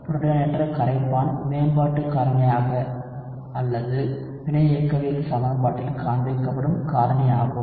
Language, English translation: Tamil, You are only talking about protonated solvent as the factor which improves or which shows up in the reaction kinetics equation